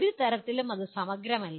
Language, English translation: Malayalam, By no means this is exhaustive